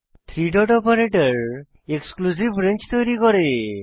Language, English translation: Bengali, (...) three dot operator creates an exclusive range